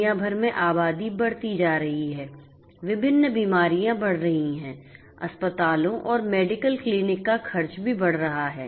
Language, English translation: Hindi, Populations are ageing all over the world; different diseases are increasing; expenditure of hospitals can medical clinic are also increasing